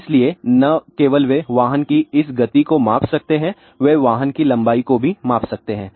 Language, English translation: Hindi, So, not only they can measure this speed of the vehicle they can also measure the length of the vehicle